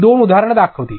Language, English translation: Marathi, Let me show two examples